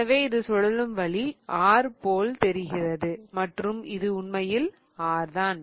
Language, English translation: Tamil, So, this looks like R because that's the way it is rotating and this is in fact R